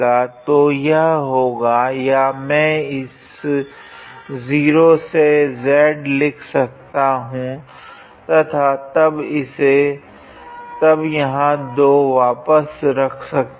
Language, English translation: Hindi, So, this will be or I can write this as 0 to z and then put a 2 here again